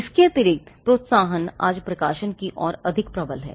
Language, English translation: Hindi, Additionally, the incentives today are more primed towards publishing